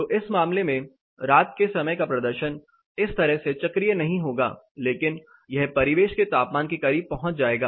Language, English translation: Hindi, So, in this case the night time performance will not be as cyclic as this, but it will get closer to the ambient temperature